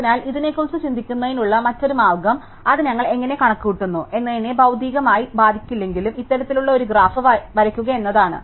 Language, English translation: Malayalam, So, another way of thinking about this, though it will not materially affect how we compute it, is to draw this kind of a graph